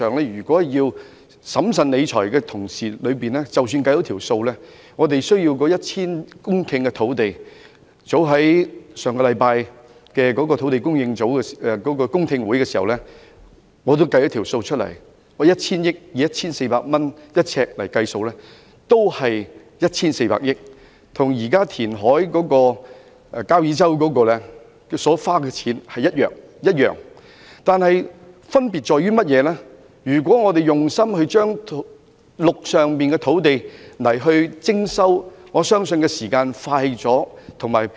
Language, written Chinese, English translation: Cantonese, 如果從審慎理財的角度來看，我們需要 1,000 公頃土地——這是我為上星期舉行有關土地供應的公聽會所計算的數字——如果以每平方呎 1,400 元來計算，所涉款額也只是 1,400 億元，與現時交椅洲填海計劃的預算開支相同，唯一的分別是如果我們用心徵收陸上土地，我相信時間會較快。, From the perspective of prudent financial management we need 1 000 hectares of land which was computed by me for the public hearing on land supply held last week . If the cost of land development is 1,400 per square foot the amount involved will only be 140 billion which is the same as the estimated expenditure of the proposed reclamation project at Kau Yi Chau . The only difference is that if greater effort is made to resume land I believe the time required will be shorter